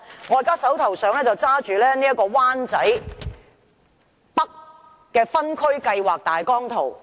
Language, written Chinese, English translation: Cantonese, 我手邊拿着灣仔北的分區計劃大綱圖。, I am now holding the outline zoning plan of Wan Chai North